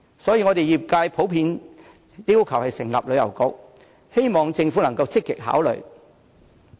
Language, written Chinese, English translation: Cantonese, 所以，業界普遍要求成立旅遊局，希望政府可以積極考慮。, Hence trade members generally call for the setting up of a Tourism Bureau and hope that the Government would give active consideration to the proposal